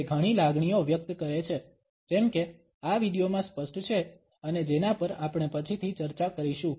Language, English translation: Gujarati, It expresses multiple emotions, as is evident in this video and as we would discuss later on